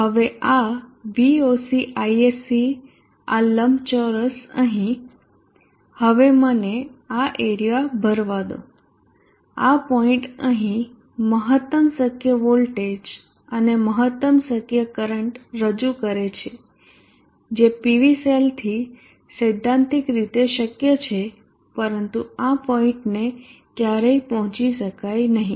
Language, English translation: Gujarati, And this point is Voc, Isc point has shown here now this Voc, Isc this rectangular here now let me fill up this area represents this point here represents the maximum possible voltage and the maximum possible current that is critically possible from the PV cell but this point will never be reached